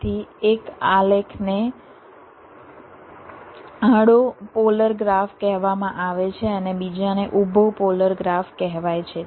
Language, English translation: Gujarati, so one of the graph is called horizontal polar graph, other is called vertical polar graph